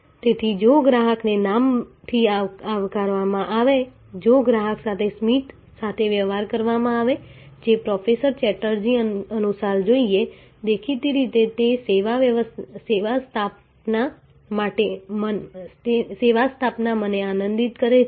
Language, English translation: Gujarati, So, if the customer is greeted by name, if the customer is treated with a smile and saying the usual professor Chatterjee then; obviously, that service establishment delights me